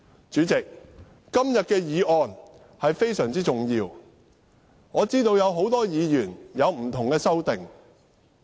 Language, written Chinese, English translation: Cantonese, 主席，今天的議案非常重要，我知道很多議員提出不同的修正案。, President the motion today is very important . I know that many Members have proposed different amendments to the motion